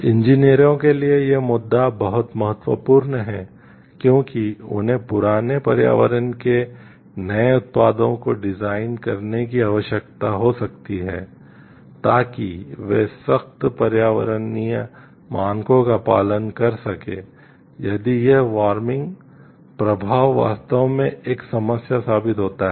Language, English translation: Hindi, These issues of great importance to engineers since they might be required to design new products of redesigned old ones to comply with stricter environmental standards if this warming effect indeed proves to be a problem